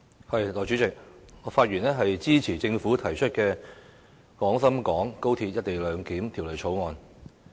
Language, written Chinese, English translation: Cantonese, 代理主席，我發言支持政府提出的《廣深港高鐵條例草案》。, Deputy President I speak in support of the Guangzhou - Shenzhen - Hong Kong Express Rail Link Co - location Bill the Bill